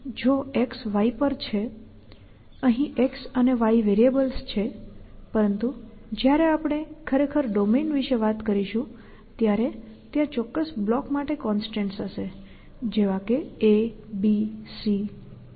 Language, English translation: Gujarati, So, if x is on y so of x and y have variables here in the operate us, but when we actually talk about domain they will get bound to constance which stand for specific blocks like a and b and c and so on